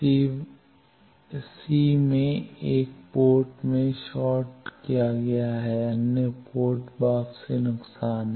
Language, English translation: Hindi, In c1 port is shorted, other port return loss